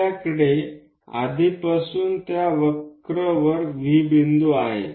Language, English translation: Marathi, So, we have already located point V on that curve